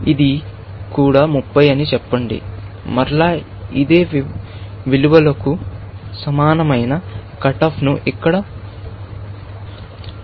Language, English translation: Telugu, Let us say that this is also 30, then again, we introduce a cutoff here, very similar to these same values